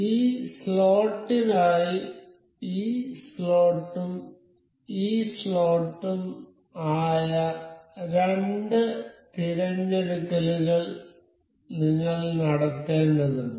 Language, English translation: Malayalam, So, for this slot we need to make the two selections that is slot and this slot